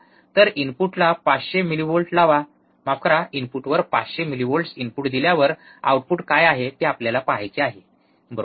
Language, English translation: Marathi, So, applying 500 millivolts at the input, sorry, 500 millivolts at the input what is the output that we have to see, right